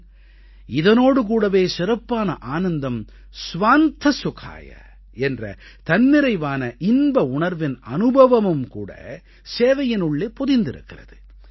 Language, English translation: Tamil, But simultaneously, deep inner joy, the essence of 'Swantah Sukhaayah' is inbuilt in the spirit of service